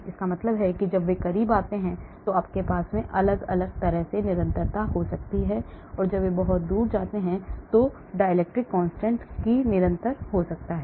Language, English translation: Hindi, so that means when they come closer you may have different dielectric constant when they are far away you can have different dielectric constant